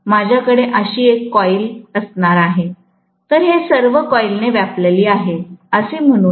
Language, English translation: Marathi, I am going to have one coil like this, so this is all occupied by the coil let us say, right